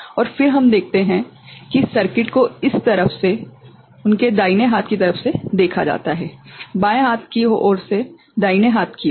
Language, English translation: Hindi, And then we see that the circuit is seen from this side to their right hand side; from the left hand side to the right hand side